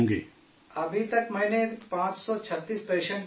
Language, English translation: Urdu, So far I have seen 536 patients